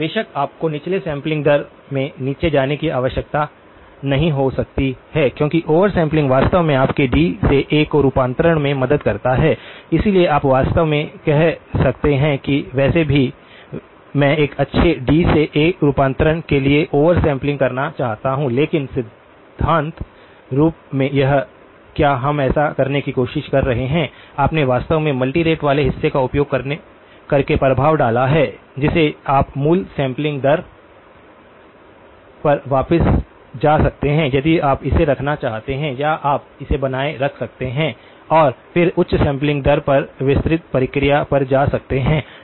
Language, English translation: Hindi, Of course, you can need not go down to the lower sampling rate because over sampling actually helps your D to A conversion, so you can actually say that anyway I want to do over sampling to do a good D to A conversion but in principle this is what we are trying to do so, you have actually introduced the effect using the multi rate part you can go back to the original sampling rate if you want to or you can retain it and then go to the detailed process at the higher sampling rate